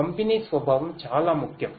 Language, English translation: Telugu, Distributed nature is very important